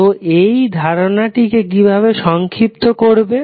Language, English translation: Bengali, So how you can summarize this particular aspect